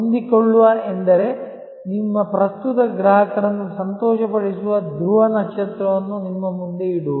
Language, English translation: Kannada, Flexible means that keeping the pole star of delighting your current customers in front of you